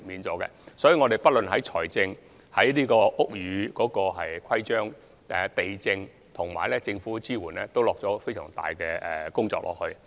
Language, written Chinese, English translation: Cantonese, 所以，我們不論是在財政，還是在屋宇規章、地政總署或政府的支援上，都下了很多工夫。, Hence we have made a lot of efforts in terms of financial arrangement buildings - related rules and regulations LandsD and government support